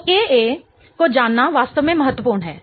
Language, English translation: Hindi, So, knowing the KAs is actually kind of important